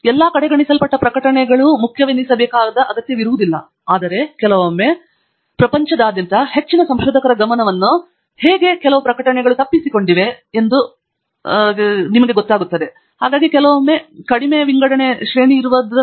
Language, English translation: Kannada, Its not necessary that all the ignored publications are important, but then, may be sometimes there are very important and useful publications that have some how evaded the attention of lot of researchers across the world